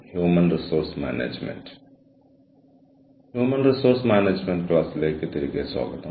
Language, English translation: Malayalam, Welcome back, to the class on, Human Resource Management